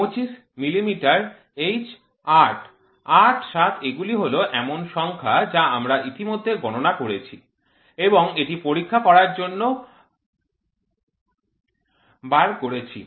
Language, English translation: Bengali, 25 millimeter H 8; 8 7 these are numbers which we have already done calculations and we have figured it out to be checked